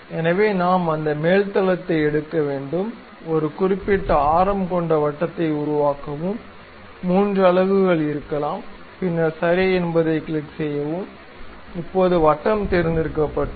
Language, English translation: Tamil, So, we have to take that top plane; then make a circle of certain radius, maybe 3 units, then click ok, now circle has been selected